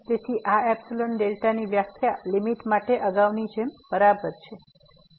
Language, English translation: Gujarati, So, this epsilon delta definition is exactly the same as earlier for the limit